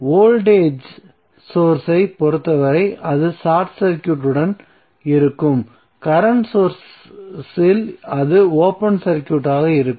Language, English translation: Tamil, So turned off means what in the case of voltage source it will be short circuited and in case of current source it will be open circuited